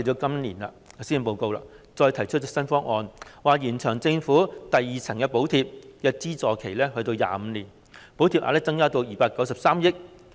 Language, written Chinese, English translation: Cantonese, 今年的施政報告再提出一些新方案，延長政府的第二層補貼的資助期至25年，補貼額增加至293億元。, This years Policy Address has proposed some new options to extend the Governments second - tier subsidy period to 25 years and the subsidy amount will be increased to 29.3 billion